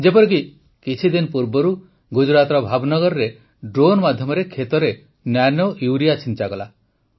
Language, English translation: Odia, Like a few days ago, nanourea was sprayed in the fields through drones in Bhavnagar, Gujarat